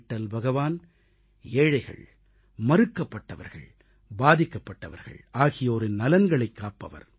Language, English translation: Tamil, Lord Vitthal safeguards the interests of the poor, the deprived ones and the ones who are suffering